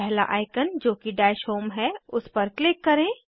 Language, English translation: Hindi, Click on the first icon i.e, Dash home